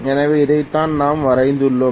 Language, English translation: Tamil, So this is what we have drawn